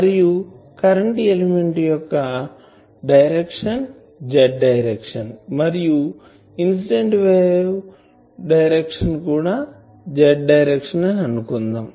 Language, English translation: Telugu, And we assume that this incident wave, this current element is Z directed and incident wave is also Z directed